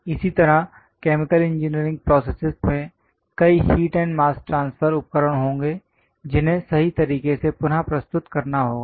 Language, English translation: Hindi, Similarly, for chemical engineering, there will be many heat and mass transfer equipment, and that has to be reproduced correctly